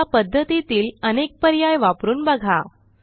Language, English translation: Marathi, And explore the various options in this method